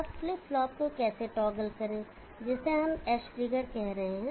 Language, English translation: Hindi, Now how to the toggle flip flop we are saying edge triggered